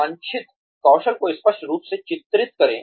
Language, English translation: Hindi, Clearly illustrate desired skills